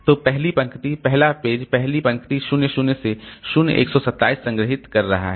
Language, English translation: Hindi, So, the first row, first page is storing the first row, 0 to 012